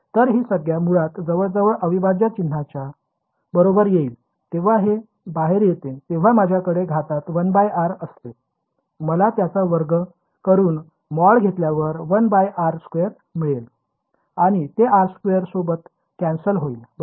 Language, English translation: Marathi, So, this term basically will approximately come out of the integral sign over here; when it comes out I have a 1 by r in the denominator I have to square it take its mod squared I get a 1 by r square, and that cancels of with this r squared over here ok